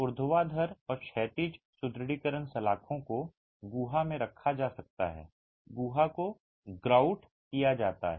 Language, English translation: Hindi, The vertical and horizontal reinforcement bars can be placed in the cavity and the cavity is grouted